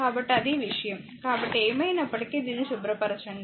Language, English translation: Telugu, So, that is the thing; so, anyway cleaning this right